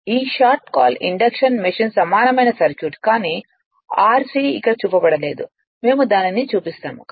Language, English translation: Telugu, So, this is your what you call induction machine equivalent circuit, but r c is not shown here we will show it